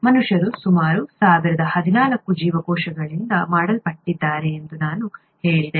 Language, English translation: Kannada, I said humans are made up of about ten power fourteen cells